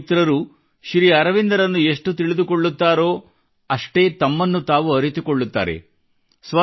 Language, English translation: Kannada, The more my young friends learn about SriAurobindo, greater will they learn about themselves, enriching themselves